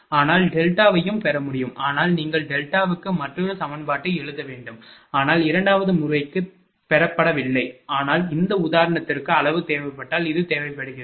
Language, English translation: Tamil, But delta can also be obtained, but that you have to write another equation for delta, but not obtained for the second method so, but for this example as far as magnitude is concern this is require I mean this is your what to call voltage magnitude and your power losses, right